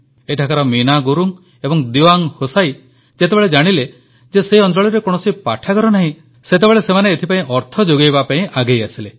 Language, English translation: Odia, In fact, when Meena Gurung and Dewang Hosayi from this village learnt that there was no library in the area they extended a hand for its funding